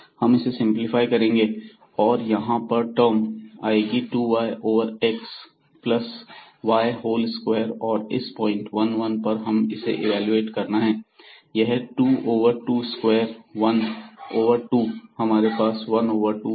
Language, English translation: Hindi, And when we simplify this so this is a 2 y term here; so, 2 y over x plus y a whole square and then at this point 1 1 we can evaluate this, this is 2 over 2 squares this is 1 over 2